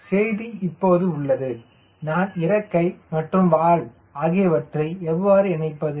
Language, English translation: Tamil, so the message is now: how do i put the wing and tail in combination